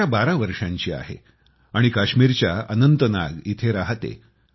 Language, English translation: Marathi, Hanaya is 12 years old and lives in Anantnag, Kashmir